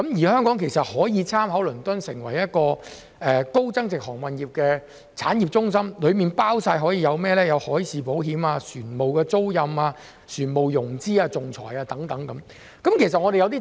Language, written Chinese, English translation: Cantonese, 香港可以借鑒倫敦的例子，發展成為高增值航運業產業中心，提供包括海事保險、船務租賃、船務融資、仲裁等服務。, Hong Kong can learn from the example of London and develop itself into a high value - added maritime centre providing services including maritime insurance ship leasing ship financing and arbitration